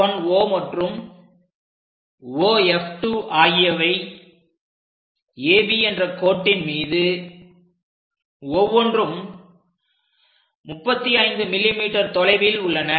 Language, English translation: Tamil, Those are F 1 and F 2 on AB such that F 1 O and O F 2 are 35 mm each